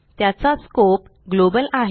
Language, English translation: Marathi, It has a global scope